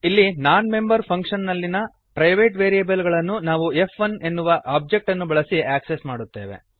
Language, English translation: Kannada, Here we access the private variables in non member function using the object f1